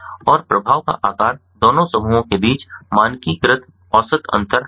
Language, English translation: Hindi, and the effect size is just the standardized mean difference between the two groups